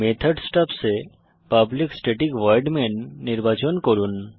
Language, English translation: Bengali, In the method stubs select public static void main